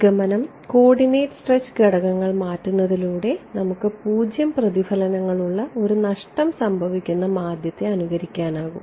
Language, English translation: Malayalam, Conclusion was that just by changing the coordinate stretch parameters I can mimic a lossy medium with 0 reflections that was our